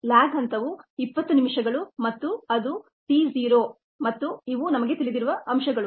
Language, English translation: Kannada, the lag phase is a twenty minutes, which is t zero, and those are the things that are known, the